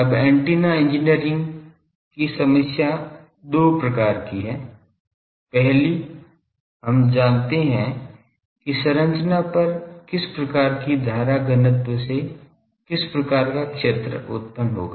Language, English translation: Hindi, Now problem of antenna engineering is two fold first we know that what type of current density on the structure will produce what fields